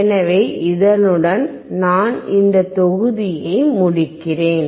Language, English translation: Tamil, So, with that, I wind up this module